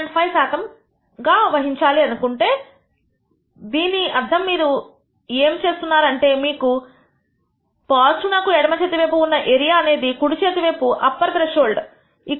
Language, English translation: Telugu, 5 percent let us say, which means what you are saying is, the area that you have on the left plus the area that you have on the right of the upper threshold is equal to 5 percent